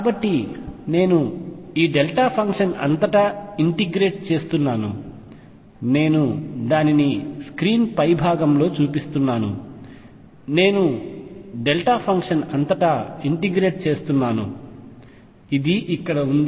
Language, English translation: Telugu, So, I am integrating just across this delta function I am showing it on the top of the screen, I am just integrating across the delta function I integrated everywhere; this is the psi here